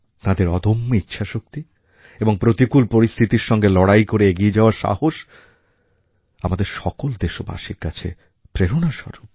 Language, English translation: Bengali, Their grit & determination; their resolve to overcome all odds in the path of success is indeed inspiring for all our countrymen